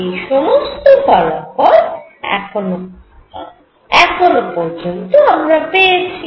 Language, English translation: Bengali, As we have found this so far